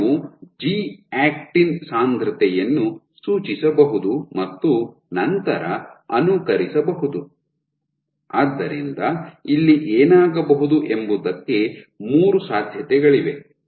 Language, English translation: Kannada, So, you can prescribe a G actin concentration and then simulate, so there are three possibilities what can happen here